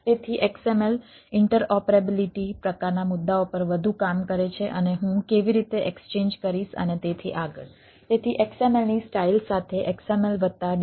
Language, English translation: Gujarati, so xml, more work on interoperability type of issues and how did i will be exchange and so and so forth